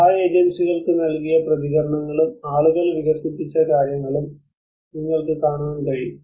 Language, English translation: Malayalam, You can see the responses what the aid agencies have given, and what people have developed